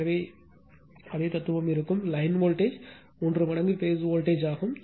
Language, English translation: Tamil, So, in here also same philosophy will be there that, your phase voltage line voltage is root 3 times phase voltage